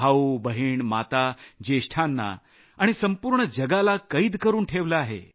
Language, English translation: Marathi, Brothers, Sisters, Mothers and the elderly, Corona virus has incarcerated the world